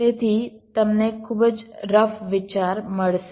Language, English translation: Gujarati, you will get a very rough idea